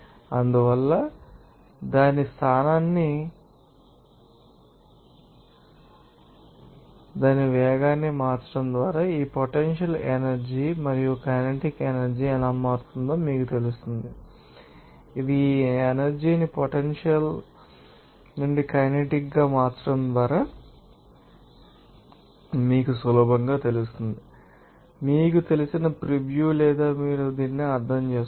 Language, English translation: Telugu, So from that you know that changing its position by its changing its velocity how these potential energy and kinetic energy will be changed and this converting this energy from potential to kinetic to potential that you can easily you know, has is based on this you know preview or you can understand this